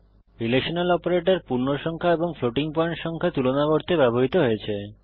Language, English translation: Bengali, Relational operators are used to compare integer and floating point numbers